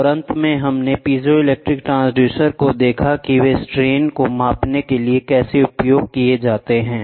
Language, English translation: Hindi, And finally, we saw piezoelectric transducers how are they used to measure the strains